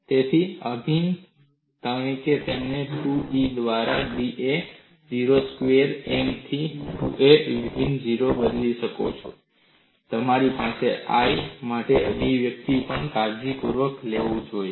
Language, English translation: Gujarati, So, the integral you replace it as 2 into integral 0 to a M square by 2 E I into da, and you should also write this expression for I carefully